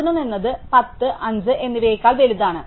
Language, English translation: Malayalam, 7 is not bigger than 8, 7 is smaller than 8